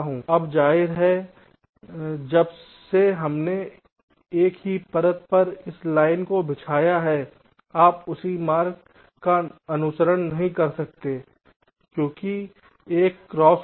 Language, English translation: Hindi, now, obviously, since we have laid out this line on the same layer, you cannot follow the same route because there would be cross